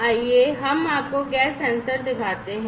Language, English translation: Hindi, Let us show you let me show you the gas sensor